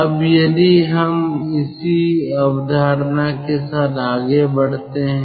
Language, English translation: Hindi, now, ah, if we proceed with the same concept